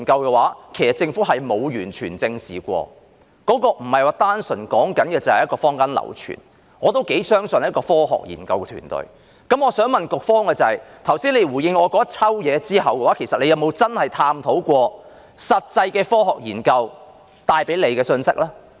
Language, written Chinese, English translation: Cantonese, 現在說的不是單純的坊間流傳，而是我也頗相信的科學研究團隊的發現，我想問局方在剛才給我一大堆回應後，有否確切探討過實際的科學研究帶出的信息呢？, What I am talking about now is not purely hearsay circulating in the community but the findings of a science research team which I consider quite trustworthy . I would like to ask the Bureau this After giving me a whole lot of responses just now has the Bureau really looked into the messages brought out by these practical scientific studies?